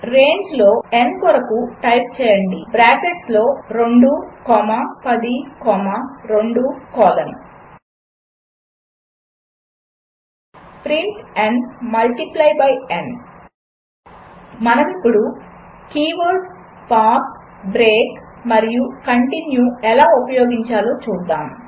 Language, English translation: Telugu, Switch to the terminal Type for n in range within bracket 2 comma 10 comma 2 colon print n multiply by n Let us now look at how to use the keywords, pass , break and continue